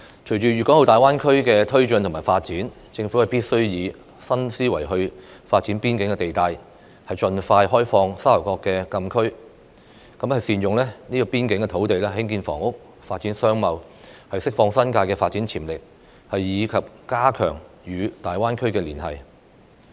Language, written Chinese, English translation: Cantonese, 隨着粵港澳大灣區的發展，政府必須以新思維發展邊境地帶；盡快開放沙頭角禁區；善用邊境土地興建房屋、發展商貿；釋放新界的發展潛力；以及加強與大灣區的連繫。, With the development of the Guangdong - Hong Kong - Macao Greater Bay Area GBA the Government must develop the boundary area with a new mindset open up the Sha Tau Kok frontier closed area as soon as possible utilize the boundary area for housing and commercial development release the development potential of the New Territories and strengthen the connection with GBA